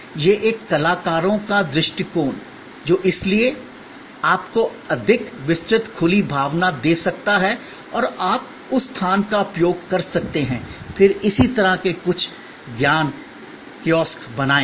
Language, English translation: Hindi, This is that artists view, which can therefore, be give you a much more wide open feeling and you could use that space, then create some of this knowledge kiosk so on